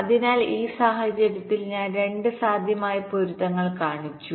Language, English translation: Malayalam, so in this case i have showed two possible matchings